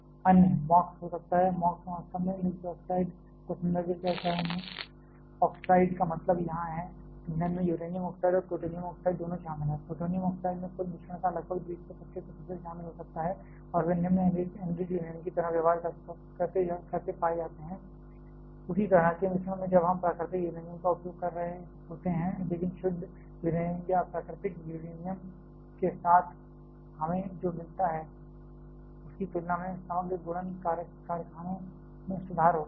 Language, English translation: Hindi, Other can be MOX, MOX actually refers to mix oxide, mix oxide means here, the fuel comprises of both uranium oxide and plutonium oxide, plutonium oxide can comprise about 20 to 25 percent of the total mixture and they are found to be behaving like low enriched uranium like that is even in the mixture when we are using natural uranium, but the overall multiplication factories found to be improved compared to what we get with pure uranium or natural uranium